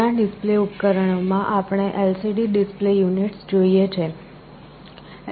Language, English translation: Gujarati, In many display devices, we see LCD display units